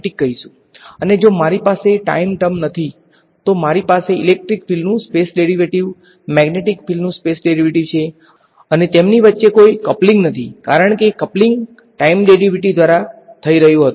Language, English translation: Gujarati, And if I do not have the time terms, then I have the space derivative of electric field, space derivative of magnetic field and there is no coupling between them; because the coupling was happening via time derivative